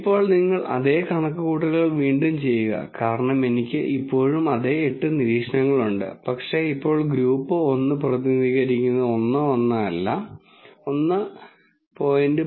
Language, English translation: Malayalam, Now, you redo the same computation because I still have the same eight observations but now group 1 is represented not by 1 1, but by 1